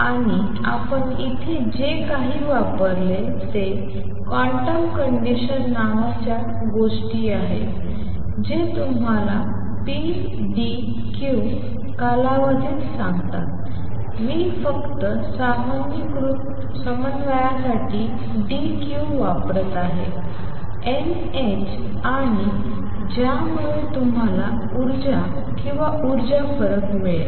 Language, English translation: Marathi, And what we have used here are some thing called the quantum conditions that tell you that the action a which is defined over a period pdq, I am just using dq for generalized coordinate is n h and that gave you the energies or energy differences